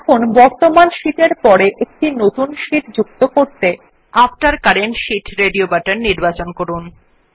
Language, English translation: Bengali, Now let us select After current sheet radio button to insert a new sheet after our current sheet